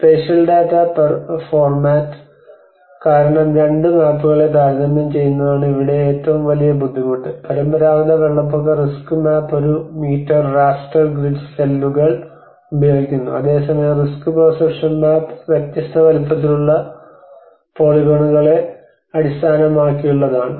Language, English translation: Malayalam, So the biggest difficulty here is comparing the two maps because of the spatial data format one is the traditional flood risk map uses the one meter raster grid cells, whereas the risk perception map is based on the polygons of varying sizes